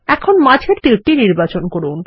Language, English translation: Bengali, Lets select the middle arrow